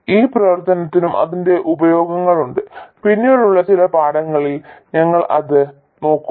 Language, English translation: Malayalam, This region also has its uses, we will look at it in some later lesson